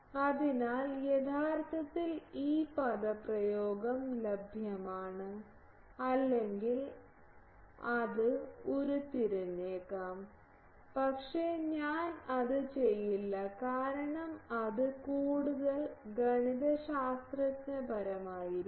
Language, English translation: Malayalam, So, actually this expression is available or it can be derived, but I would not do that because that will be more mathematical in nature